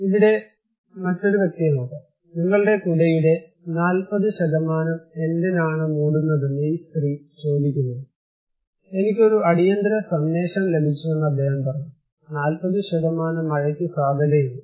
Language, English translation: Malayalam, Or maybe another person whom this lady is asking that why 40% of your umbrella is covered, he said I received an emergency message is saying that there is a chance of 40% rain